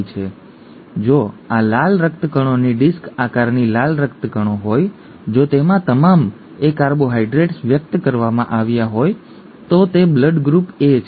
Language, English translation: Gujarati, So if this is the red blood cell disc shaped red blood cell, if it has all A carbohydrates being expressed then it is blood group A